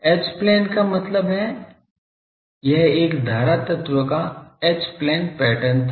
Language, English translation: Hindi, H plane means , this was the pattern the h plane pattern of a current element